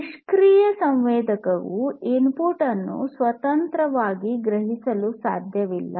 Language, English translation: Kannada, A passive sensor cannot independently sense the input